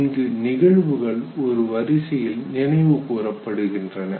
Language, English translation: Tamil, But these events are recollected in a serial form